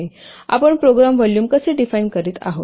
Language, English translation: Marathi, How we are defining program volume